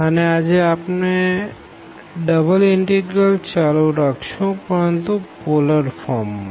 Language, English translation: Gujarati, And today we will again continue with this double integrals, but in particular this polar form